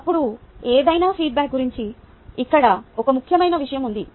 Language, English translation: Telugu, now here is an important point about any feedback